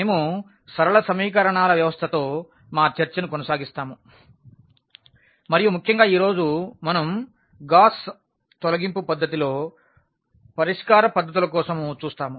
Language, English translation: Telugu, We will be continuing our discussion on System of Linear Equations and in particular, today we will look for the solution techniques that is the Gauss Elimination Method